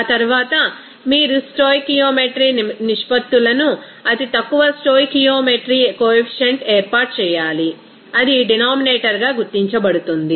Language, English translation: Telugu, After that you have to set up the stoichiometry ratios with the lowest stoichiometry coefficient that will be identified as the denominator